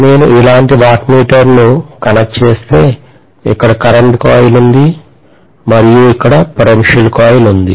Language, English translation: Telugu, If I connect a wattmeter like this, here is my current coil and here is my potential coil